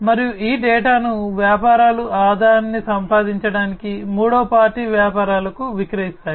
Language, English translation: Telugu, And this data is sold by the businesses to the third party businesses to earn revenue